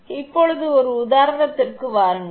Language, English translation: Tamil, So, now, come to the one example